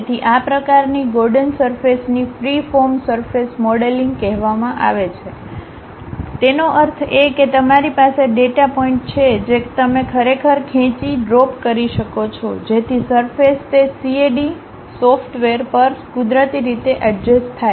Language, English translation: Gujarati, So, these kind of Gordon surface is called freeform surface modelling, that means, you have data points you can really drag drop, so that surface is naturally adjusted on that CAD software